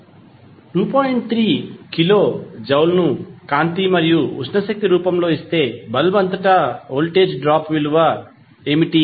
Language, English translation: Telugu, 3 kilo joule is given in the form of light and heat energy what is the voltage drop across the bulb